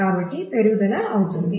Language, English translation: Telugu, So, the growth will become